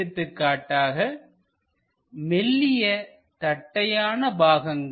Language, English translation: Tamil, For example, a very flat thin part